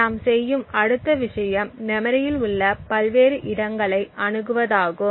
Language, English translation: Tamil, The next thing we do is create memory accesses to various locations